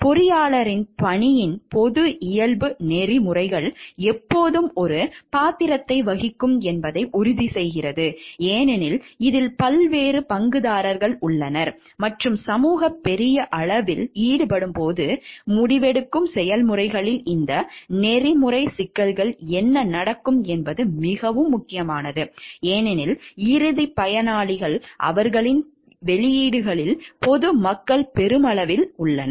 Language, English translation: Tamil, The public nature of the engineers work ensure that ethics will always play a role, because there are different stakeholders involved and when the society at large is involved, then what happens this ethical issues in the decision making processes are very important, because the ultimate beneficiaries of their outputs are the general public at large